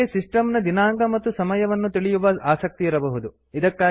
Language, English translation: Kannada, We may be interested in knowing the system date and time